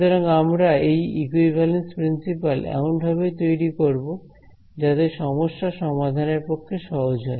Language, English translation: Bengali, So, we will construct these equivalence principles such that the problem becomes easier to solve ok